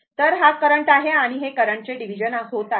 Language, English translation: Marathi, Then , this is the current and this is the current division right, current